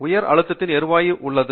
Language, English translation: Tamil, There is gas present inside it under high pressure